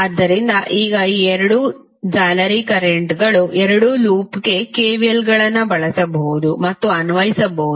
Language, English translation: Kannada, So, now the two mesh currents you can use and apply KVLs for both of the loop